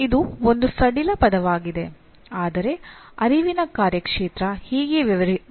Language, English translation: Kannada, Is a loose word for this but that is what cognitive domain deals with